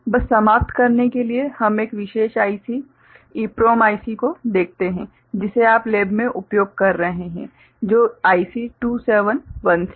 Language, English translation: Hindi, To end just we look at one particular EPROM IC which you might be using in the lab which is IC 2716